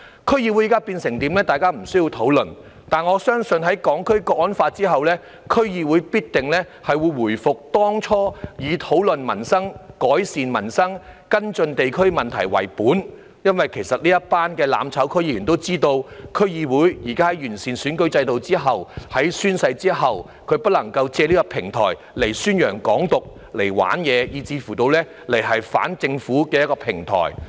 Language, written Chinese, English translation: Cantonese, 區議會現時的狀況，大家不需要討論，但我相信在實施《香港國安法》後，區議會必定會回復正常，以討論民生、改善民生、跟進地區問題為本，因為這幫"攬炒"區議員也知道，在現時完善選舉制度和宣誓之後，他們不能夠借區議會此平台宣揚"港獨"、"玩嘢"，以至反政府。, We do not need to discuss the current situation of the District Councils DCs but I believe that following the implementation of the National Security Law for Hong Kong DCs will surely return to normality with its focus on discussing and improving peoples livelihood and following up district issues . Because these DC members of the mutual destruction camp know that after the current improvement of the electoral system and after oath taking they cannot use DCs as a platform to promote Hong Kong independence make trouble and even go against the Government